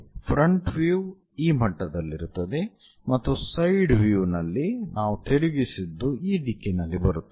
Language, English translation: Kannada, the front view placed at this level on the side view whatever we flipped it, it comes in that direction